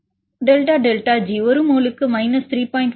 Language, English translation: Tamil, 4 and delta delta G is minus 3